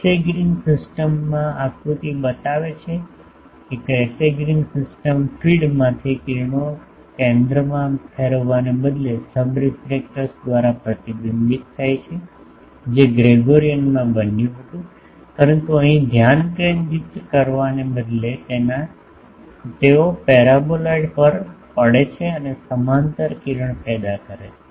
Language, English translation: Gujarati, In Cassegrain system show the figure Cassegrain system the rays from feed gets reflected by the subreflector instead of converging to focus which was the case in Gregorian, but here instead of converging to focus they fall on paraboloid and produces parallel ray